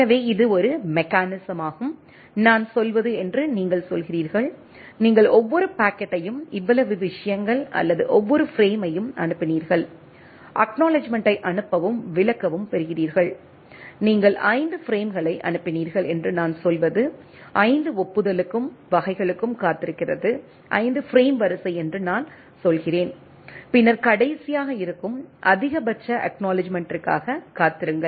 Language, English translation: Tamil, So, that is a mechanism it says that you say I say, that you sent every packet of so much things or every frame and get a acknowledgement send and explain, what I say that you sent 5 frames wait for the 5 acknowledgement and type of things I say 5 frame is sequence and then wait for the last the maximum acknowledgement thing that all will be there